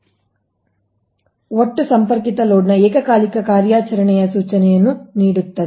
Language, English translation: Kannada, so demand factor gives an indication of the simultaneous operation of the total connected load